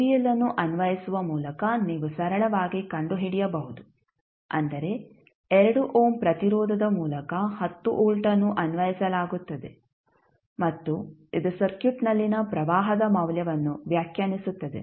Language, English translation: Kannada, You can simply find out by applying the kvl that is 10 volt is applied across through the 2 ohm resistance and it will define the value of current in the circuit